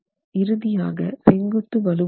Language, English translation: Tamil, And finally, the vertical reinforcement